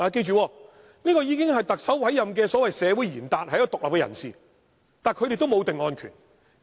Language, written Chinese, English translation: Cantonese, 他們已是特首委任的所謂社會賢達，是獨立人士，但他們也沒有定案權。, Although they are the so - called community leaders who are independent persons appointed by the Chief Executive they do not have the power to pass a verdict